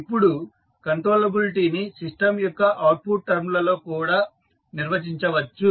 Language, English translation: Telugu, Now, controllability can also be defined for the outputs of the system